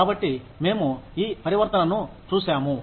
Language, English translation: Telugu, So, we have seen this transition